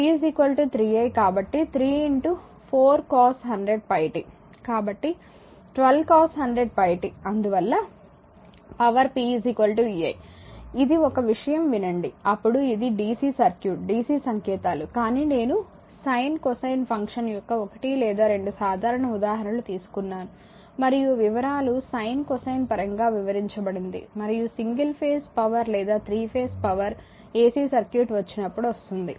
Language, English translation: Telugu, So, 12 cos 100 pi t; hence the power is p is equal to v i listen one thing this is we are covering then general it is a DC dc circuit DC codes, but one or two simple example of your sine cosine function I am taken and detail sine cosine detailed your in terms of sine cosine and single phase power or 3 phase power that will come when the AC circuit